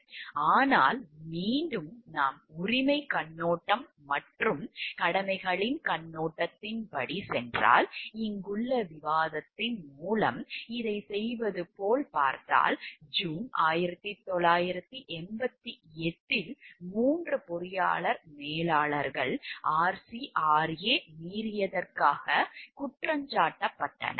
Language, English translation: Tamil, But again, if we go by the rights perspective and duties perspective, if you see like going for this by this discussion over here, like in June of 1988 the 3 engineer managers were indicted for violation of RCRA